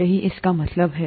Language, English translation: Hindi, That is what it means